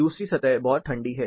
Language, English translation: Hindi, The other surface is really cold